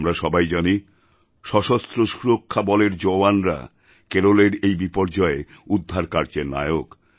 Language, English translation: Bengali, We know that jawans of our armed forces are the vanguards of rescue & relief operations in Kerala